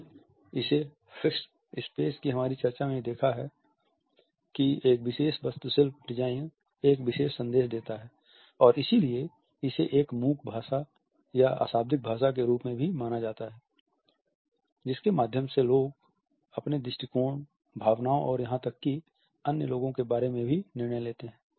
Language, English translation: Hindi, We have seen it in our discussion of the fixed space also that a particular architectural design passes on a particular message and therefore, we find that it is also considered as a silent language through which people put across their attitudes feelings and even judgments about other people